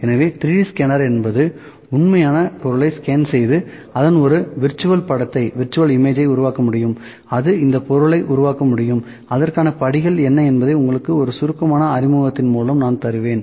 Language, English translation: Tamil, So, 3D scanner can scan the real object and produced a virtual image of that, ok, it can produce this object, how it what are the steps for that I will just give a brief introduction to them as well